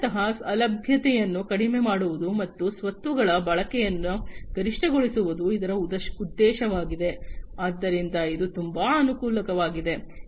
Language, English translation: Kannada, So, the aim is basically to minimize the downtime, and maximize the utilization of the assets, so this is very advantageous